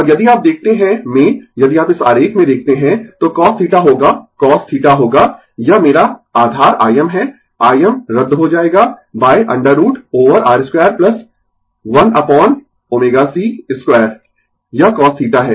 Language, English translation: Hindi, And if you look into the, if you look into this diagram right, so cos theta will be cos theta will be this is my base I m, I m will be cancel right, by root over R square plus 1 upon omega c square, this is cos theta